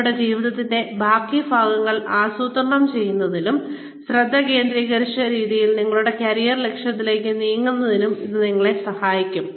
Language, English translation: Malayalam, This is going to really help you, in planning the rest of your lives, and moving in a focused manner, towards your career objective